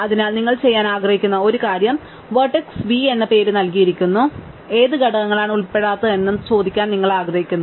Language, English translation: Malayalam, So, one of the things you want to do is given the name of vertex v, you want to ask which components does it belong to